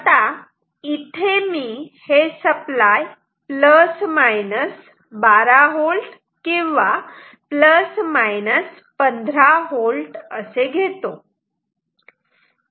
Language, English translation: Marathi, Let me take a source say which is plus minus 12 volt or plus minus 15 volt